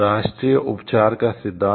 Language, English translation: Hindi, Principle of national treatment